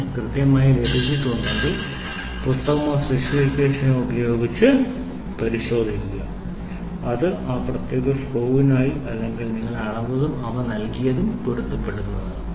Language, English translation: Malayalam, If you perfectly got it, check with the book or the specification, which is given for that particular screw or for the drill what you have measured and what is given by them is matching